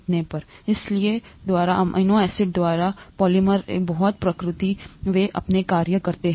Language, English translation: Hindi, So by the very nature of the polymers of amino acids they get their function